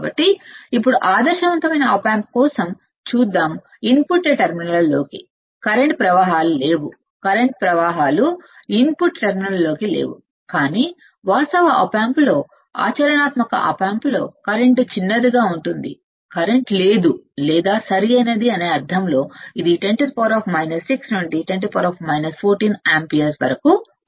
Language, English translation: Telugu, So, now, let us see for ideal op amp, no current flows into input terminals right no current flows input terminals, but when you see that in actual op amp, in practical op amp, the current would be small small in the sense that there is no current is or correct it will be 10 raise to minus 6 to 10 raise to minus 14 ampere